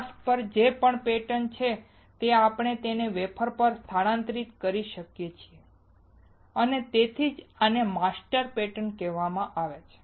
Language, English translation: Gujarati, Whatever pattern is there on the mask we can transfer it onto the wafer and which is why these are called master patterns